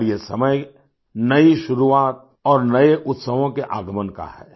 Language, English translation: Hindi, And this time is the beginning of new beginnings and arrival of new Festivals